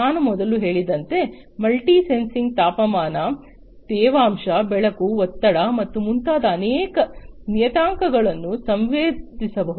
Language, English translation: Kannada, Multi sensing as I told you before it is about sensing multiple parameters such as temperature, humidity, light, pressure, and so on